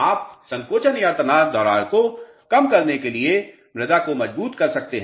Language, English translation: Hindi, You can reinforce the soils for nullifying the shrinkage or tension cracks